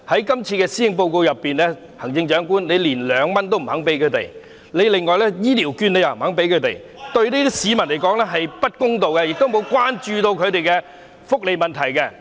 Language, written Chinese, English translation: Cantonese, 在這份施政報告中，行政長官卻未有向他們提供2元的乘車優惠及醫療券，對這批市民來說並不公道，因為未有關注他們的福利問題。, In this Policy Address however the Chief Executive has not provided these people with 2 concessionary transport fare and health care voucher which is unfair to them because their welfare has not been attended to